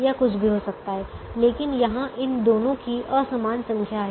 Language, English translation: Hindi, it could be anything, but there unequal number of these two entities